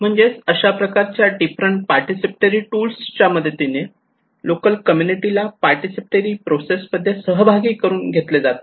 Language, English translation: Marathi, So these all are considered to be participatory tools, that means a tool to involve local community into the participatory process